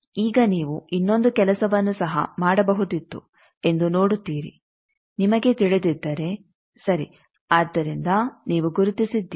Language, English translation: Kannada, Now you can see that you could have done another think also that if you know a, ok so you have located